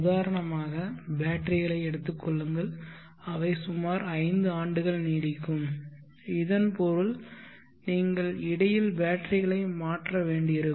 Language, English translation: Tamil, Take for example batteries they may last for around 5 years which means that you may have to replace the batteries sets in between